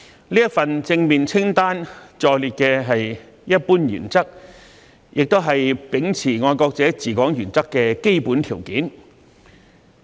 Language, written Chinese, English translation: Cantonese, 這份正面清單載列的是一般原則，也是秉持"愛國者治港"原則的基本條件。, This positive list sets out the general principles which are also the basic requirements for upholding the principle of patriots administering Hong Kong